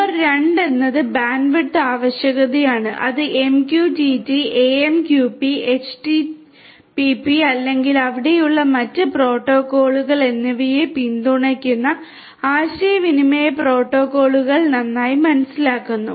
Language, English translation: Malayalam, Number two is the bandwidth requirement which is well understood the communication protocols that are supported whether it is MQTT, AMQP, HTPP or you know the other protocols that are there